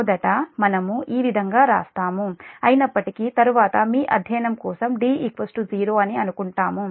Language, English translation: Telugu, first we write like this, this way, although later we will assume that d is equal to zero for this your study